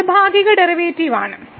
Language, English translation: Malayalam, So, what is Partial Derivative